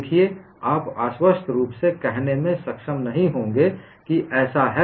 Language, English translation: Hindi, See, you will not be able to convincingly say, this is so